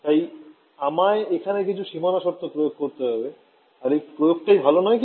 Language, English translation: Bengali, So, I need to impose some boundary conditions and I impose this boundary conditions is that a good thing